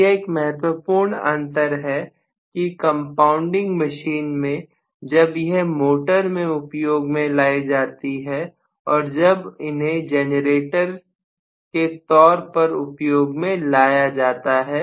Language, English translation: Hindi, So, this is an important difference between the compound machines, when they are operated as motors and when they are operated as generators